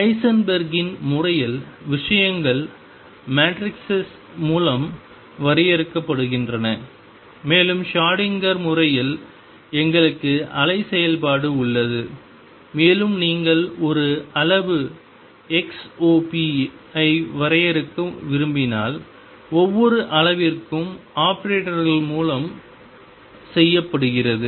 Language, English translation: Tamil, And in Heisenberg’s picture things are defined through matrices, and in the Schrödinger picture we have the wave function and when you want to define a quantity xop it is done through operators for each quantity